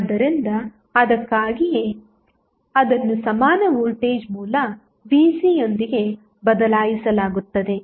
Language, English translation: Kannada, So, that is why it is replaced with the equivalent voltage source Vc